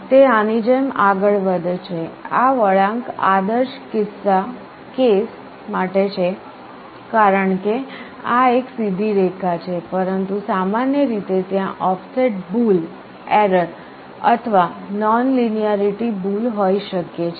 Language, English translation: Gujarati, It goes up like this, this curve is for ideal case because this is a straight line, but in general there can be offset error or nonlinearity error